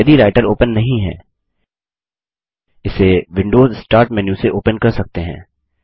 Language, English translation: Hindi, If Writer is not open, we can invoke it from the Windows Start menu